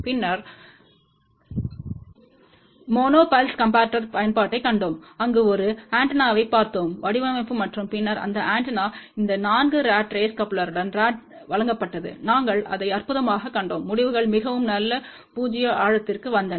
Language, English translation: Tamil, And then we saw an application for monopulse comparator, where we looked at an antenna design and then that antenna was fed with these 4 rat race coupler and we saw that fantastic results came for very good null depth ok